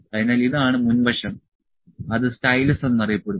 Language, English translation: Malayalam, So, this is the front position is known as stylus